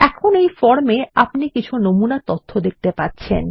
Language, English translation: Bengali, Now, in this form, we see some sample data